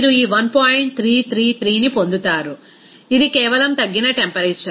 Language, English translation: Telugu, 333, it is simply reduced temperature